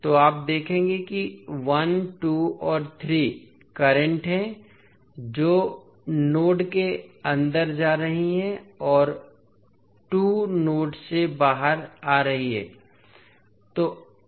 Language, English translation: Hindi, So, you will see 1, 2 and 3 are the currents which are going inside the node and 2 are coming out of the node